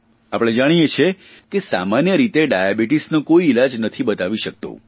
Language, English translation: Gujarati, And we know that there is no definite cure for Diabetes